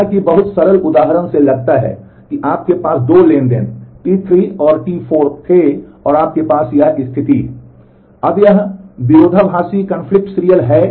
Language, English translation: Hindi, Just as very simple example suppose you had 2 transactions T 3 and T 4, and you have this situation